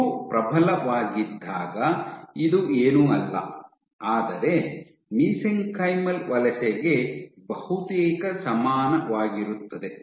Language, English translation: Kannada, When all 3 are dominant this is nothing, but almost equivalent to mesenchymal migration